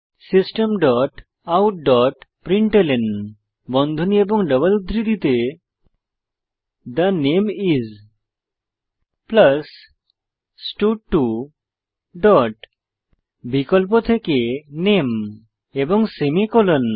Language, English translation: Bengali, System dot out dot println within brackets and double quotes The name is, plus stud2 dot select name and semicolon